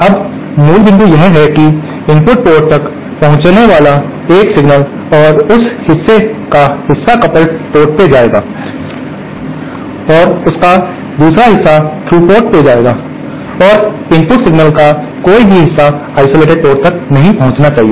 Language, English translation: Hindi, Now the basic point is that there will be a signal reaching the input port and the part of that will travel to the coupled port and a part of that will travel to the through port and no part of the input signal should reach the isolated port